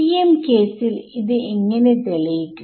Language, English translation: Malayalam, For the TM case how will be prove it